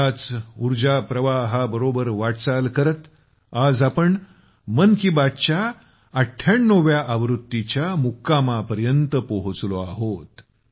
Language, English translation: Marathi, Moving with this very energy flow, today we have reached the milepost of the 98th episode of 'Mann Ki Baat'